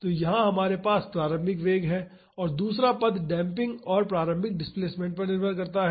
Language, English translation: Hindi, So, here we have the initial velocity and the second term is depending upon the damping and the initial displacement